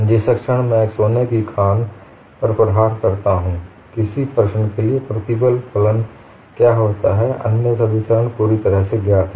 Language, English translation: Hindi, The moment I strike a gold mine what is the stress function for a given problem, all other steps are completely known